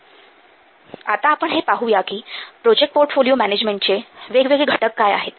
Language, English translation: Marathi, Now let's see what are the different elements to project portfolio management